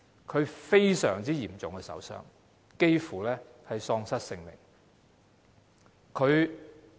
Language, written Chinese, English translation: Cantonese, 她受了重傷，幾乎喪失性命。, She was seriously injured and almost lost her life